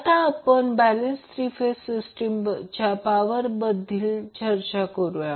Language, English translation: Marathi, Now let us discuss the power in the balance three phase system